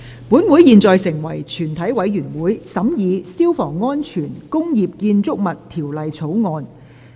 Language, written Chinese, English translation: Cantonese, 本會現在成為全體委員會，審議《消防安全條例草案》。, This Council now becomes committee of the whole Council to consider the Fire Safety Bill